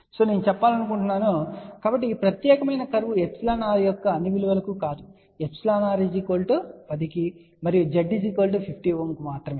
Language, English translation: Telugu, I just to want to mention, so this particular curve is not for all values of epsilon r this is specifically given for epsilon r equal to 10 and Z 0 equal to 50 ohm